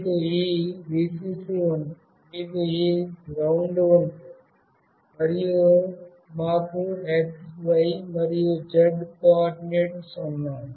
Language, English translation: Telugu, You have this Vcc, we have this GND, and we have x, y and z coordinates